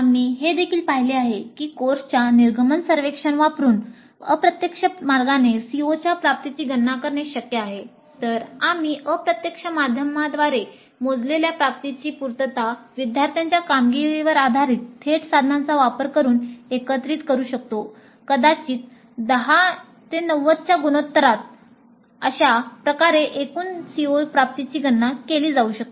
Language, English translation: Marathi, Then we can combine the attainment computed from indirect means with the attainment computed using direct means that is based on the student performance probably in the ratio of 10 to 90 and that's how the total CO attainment can be computed